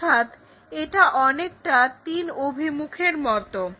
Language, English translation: Bengali, So, it is more like 3 directions